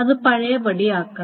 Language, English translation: Malayalam, So it must be undone